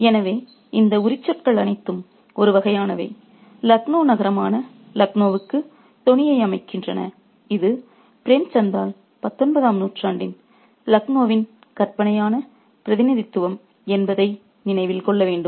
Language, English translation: Tamil, So, all these adjectives are kind of set up the tone for Lucknow, the city of Lucknow and we got to remember that this is the fictional representation of Lucknow of the 19th century by Premchen